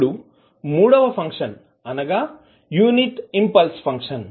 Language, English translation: Telugu, Now, the third function is unit impulse function